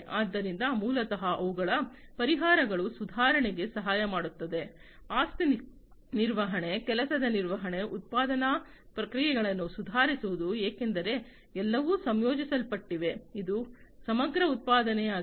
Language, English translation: Kannada, So, basically their solutions will help in improving, the asset management, work management, improving the manufacturing processes, because everything is integrated, its integrated manufacturing, and so on